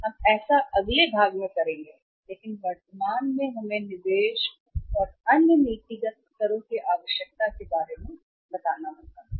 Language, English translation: Hindi, We will do that in the next part but currently lest us workout the requirement of investment and the another policy levels